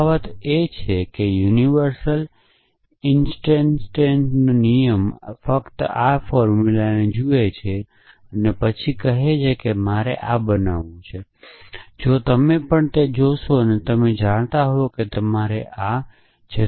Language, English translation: Gujarati, So, the difference is the universal instantiation rule only looks at this formula then says I must produce this whereas, if you also look that is then you would know the you have to produce this essentially